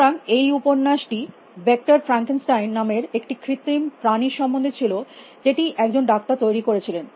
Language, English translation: Bengali, So, this novel about this artificial future creature call vector Frankenstein who was made by doctor